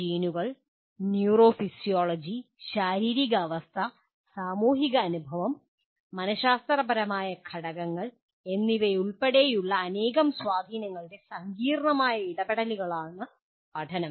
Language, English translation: Malayalam, And another way of putting is, learning is a complex interaction of myriad influences including genes, neurophysiology, physical state, social experience and psychological factors